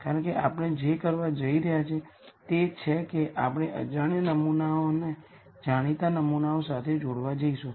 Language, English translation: Gujarati, Because what we are going to do is we are going to relate unknown samples to known samples